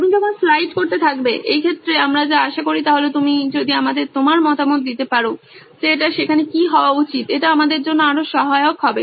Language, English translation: Bengali, As you keep sliding, in this case what we expect is if you can give us feedback what it should be there it would be more helpful